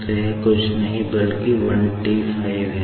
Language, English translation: Hindi, So, this is nothing but your 15T